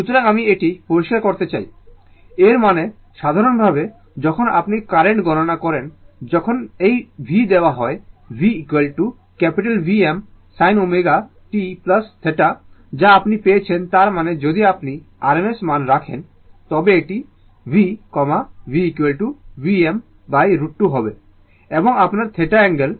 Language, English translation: Bengali, So, let me clear it, that means in general when you compute the current suppose this v is given, we got v is equal to v m sin omega t plus theta that you got, so that means, if you put in rms value, it will be v, v is equal to v m by root 2 right, and angle your theta right